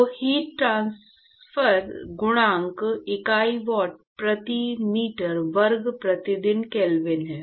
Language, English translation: Hindi, So, heat transfer coefficient unit is watt per meter square per kelvin